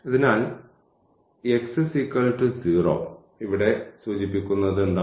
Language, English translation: Malayalam, So, this line x is equal to 0 what it implies here